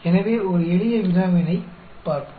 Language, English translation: Tamil, So, let us look at one simple problem